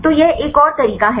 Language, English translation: Hindi, So this is another method